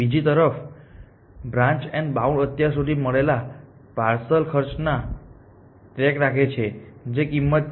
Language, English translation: Gujarati, Branch and bound on the other hand keeps track of the parcel cost found so far, which are these cost